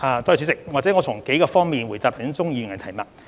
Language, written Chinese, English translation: Cantonese, 主席，讓我從數個方面回答鍾議員的提問。, President I will answer Mr CHUNGs question from several aspects